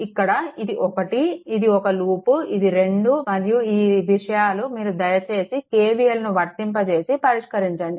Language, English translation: Telugu, We have taken it is one this is one, this is one loop, this is 2 and all this things you please apply K V L and solve it